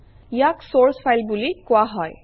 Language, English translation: Assamese, This is called the source file